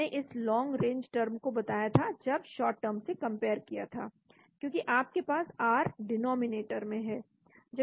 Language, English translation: Hindi, I mentioned this term long range when compared to short range, because you have r in the denominator